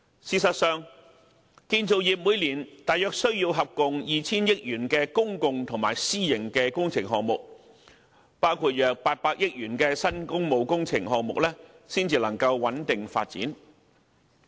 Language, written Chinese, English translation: Cantonese, 事實上，建造業每年大約需要共 2,000 億元的公共及私營工程項目，包括約800億元的新工務工程項目才能夠穩定發展。, As a matter of fact each year the construction industry needs about a total of 200 billion - worth public and private projects including 80 billion of new public works projects for a stable development